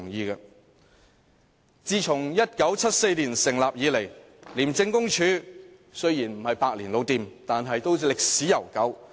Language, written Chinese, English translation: Cantonese, 廉署在1974年成立，雖然不是百年老店，但都歷史悠久。, Founded in 1974 ICAC has a very long history though it cannot be called a century - old shop